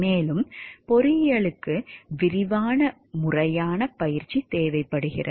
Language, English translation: Tamil, Also engineering requires extensive formal training